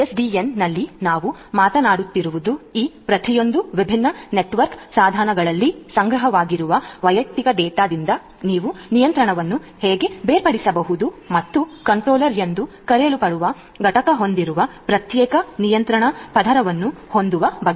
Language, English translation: Kannada, In SDN what we are talking about is how you can separate out the control from this individual data that are stored in each of these different different network equipments and have a separate layer which is the control layer having an entity a network entity which is termed as the controller